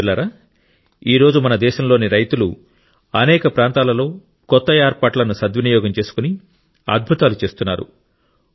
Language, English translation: Telugu, Friends, today the farmers of our country are doing wonders in many areas by taking advantage of the new arrangements